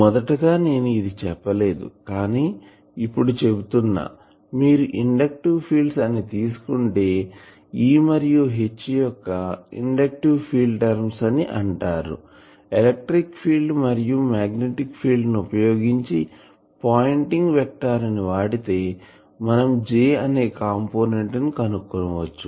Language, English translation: Telugu, Initially I could not tell it, but now I can say that if you take inductive field terms E and H inductive field terms, electric field and magnetic fields do this pointing vector business, then you will find that they give rise to a j component